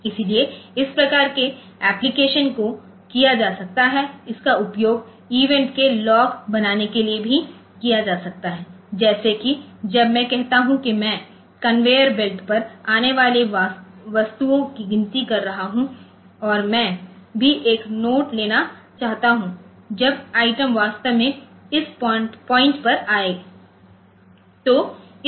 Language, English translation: Hindi, So, those type of application can be done, it can also be used for creating a log of events, like when say if I say that I am counting the items coming on conveyor belt and I also want to take a note like we when individual items actually came to the point